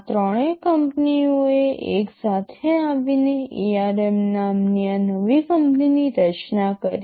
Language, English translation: Gujarati, These threeis 3 companies came together and formed this new company called ARM